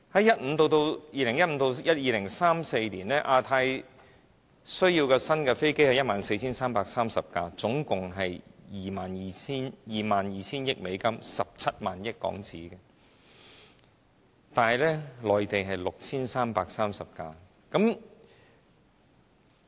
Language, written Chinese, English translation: Cantonese, 估計2015年至2034年，亞太地區需要 14,330 架新飛機，總價值達 22,000 億美元，即17萬億港元，但內地只需66 33架。, It is forecasted that the Asia - Pacific region will need 14 330 new aircraft between 2015 and 2034 which will totally cost USD2,200 billion or HK17,000 billion . However among the future demand the Mainland will only require 6 633 new aircraft